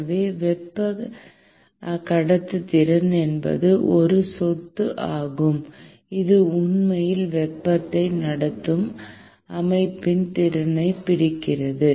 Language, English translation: Tamil, So, thermal conductivity is a property which essentially captures the ability of the system to actually conduct heat